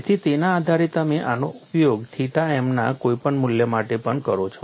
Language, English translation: Gujarati, So, based on that, you use this for any value of theta m also